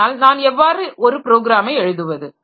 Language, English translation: Tamil, But how do I write a program